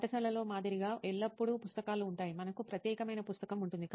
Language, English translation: Telugu, Like in school there is always books, you have a particular book that is different scenario